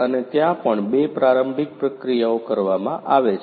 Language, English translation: Gujarati, And also there are two preliminary processes that are done